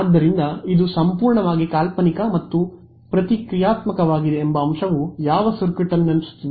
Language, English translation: Kannada, So, then this fact that it is purely imaginarily and reactive reminds us of which circuit element